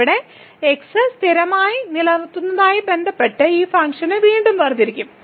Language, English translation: Malayalam, So now we will again differentiate this function with respect to keeping constant